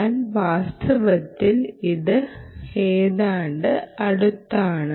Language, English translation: Malayalam, this is ideal, but in reality it is close